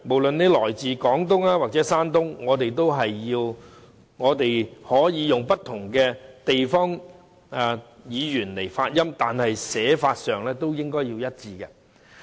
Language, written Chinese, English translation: Cantonese, 來自廣東和山東的人士，可以使用不同的方言和發音，但書寫的文字卻應該一致。, People from Guangdong and Shandong speak their respective dialects with different pronunciations but they all write the same Chinese characters